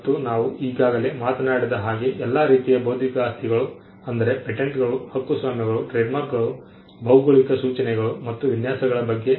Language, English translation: Kannada, All the different types of intellectual property we had already talked about patents, copyrights, trademarks, geographical indications, designs